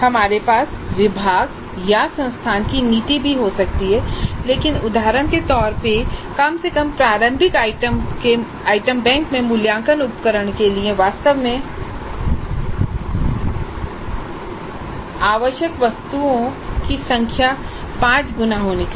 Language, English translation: Hindi, We might be having a policy of the department or the institute also but in a representative fashion if we assume that at least the initial item bank should have five times the number of items which are really required for the assessment instrument, we would get something like this